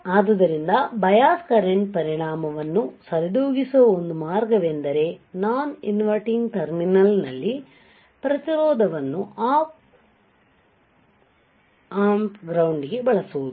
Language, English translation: Kannada, So, a way to compensate the effect due to bias current is by using a resistance at their non inverting terminal to the ground of an op amp ok